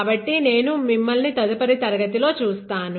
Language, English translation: Telugu, So, I will see you in the next class